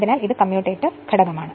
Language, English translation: Malayalam, So, this is commutator component